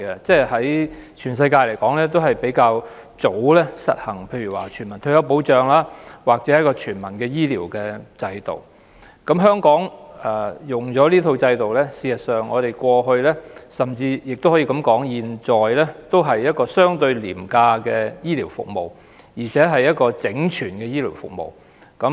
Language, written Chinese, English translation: Cantonese, 在全世界中，英國確實是一個較早便實行全民退休保障及全民醫療制度的國家，而香港在使用這套制度後，事實上，不論在過去或現在，我們也可以說是有一套相對廉價的醫療服務，而且更是一套整全的醫療服務。, In the world the United Kingdom is truly a country which implemented universal retirement protection and universal healthcare system at a rather early stage . In fact after adopting this system no matter in the past or at present Hong Kong could have a set of relatively cheap as well as comprehensive healthcare services